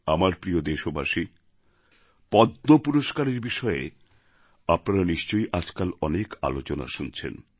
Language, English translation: Bengali, My dear countrymen, these days you must be hearing a lot about the Padma Awards